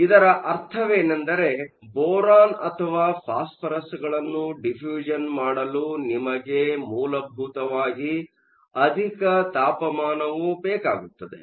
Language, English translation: Kannada, What this means is in order to have boron or phosphorous diffusing into a material, you essentially need a high temperature process